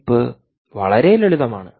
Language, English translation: Malayalam, well, very simple, by the chip